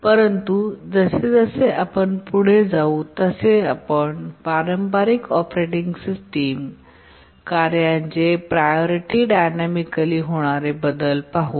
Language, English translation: Marathi, but as you will see that the traditional operating systems change the priority of tasks dynamically